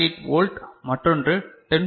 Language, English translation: Tamil, 8 volt another is 10